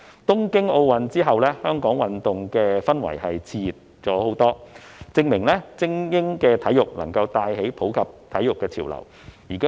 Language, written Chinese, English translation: Cantonese, 香港的運動氛圍在東京奧運會後熾熱了很多，證明精英體育能夠帶起普及體育的潮流。, Hong Kongs sports atmosphere becomes much exuberant after the Tokyo Olympics Games thus proving that elite sports can boost the trend of sports for all